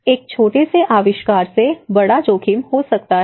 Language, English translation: Hindi, So, a small invention can lead to a bigger risk